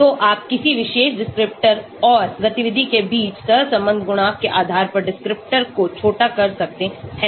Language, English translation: Hindi, So you can shortlist descriptors based on the correlation coefficient between a particular descriptor and the activity